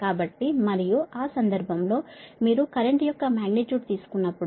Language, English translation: Telugu, so, and in that case when you take the magnitude of the current